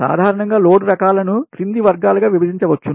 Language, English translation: Telugu, in general, the types of load can be divided into following categories